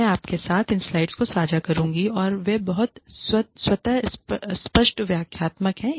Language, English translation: Hindi, I will be sharing these slides with you and they are pretty self explanatory